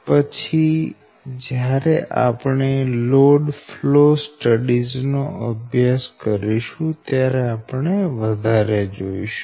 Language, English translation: Gujarati, but later when you study the load flow studies we will see much